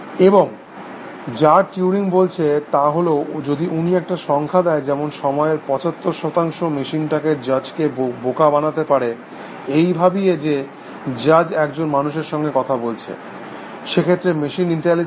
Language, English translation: Bengali, And what turing said, was that if he gave a figure like, seventy percent of the time, the machine can fool the judge into thinking that the judge is talking to a human being; then the machine is intelligent